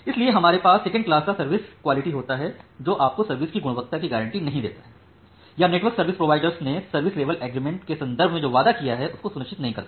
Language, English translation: Hindi, So, that is why we have a second class of quality of service, which does not give you guaranteed quality of service or which does not ensure that whatever the network service provider has promised to me in terms of service level agreement